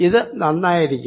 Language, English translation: Malayalam, that would be fine